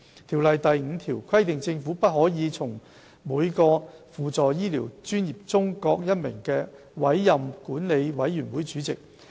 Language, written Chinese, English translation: Cantonese, 《條例》第5條規定政府不可從"從每個輔助醫療專業中各一名"委任管理委員會的主席。, Section 5 of the Ordinance provides that the Board Chairman to be appointed by the Government shall not be the person appointed from each supplementary medical profession